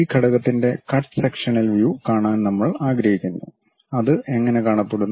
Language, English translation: Malayalam, And we would like to have cut sectional view of this element, how it looks like